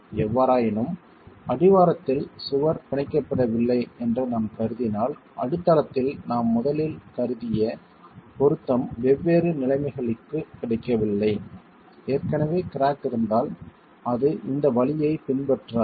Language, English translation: Tamil, However, if we were to assume that the wall is not bonded at the base, that the fixity that we originally assumed at the base is not available for different conditions, if there is already a crack existing, then it will not follow this root